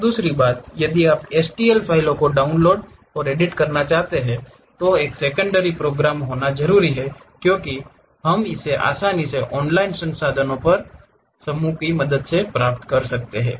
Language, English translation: Hindi, And second thing, if you wish to download and edit STL files a secondary program must be required as we can easily get it on online resources with the help from groups